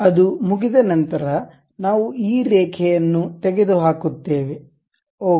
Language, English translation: Kannada, Once it is done we remove this line, ok